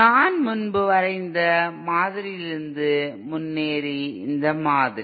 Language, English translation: Tamil, Proceeding from the model that I had drawn previously, this model